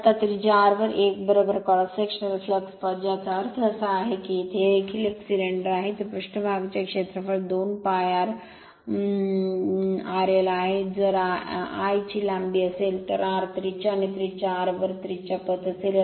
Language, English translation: Marathi, Now, a is equal to cross sectional flux path at radius r; that means, you have to it is too that is a cylinder it is surface area is 2 pi r l, if l is the length, r is the radius and flux path at radius r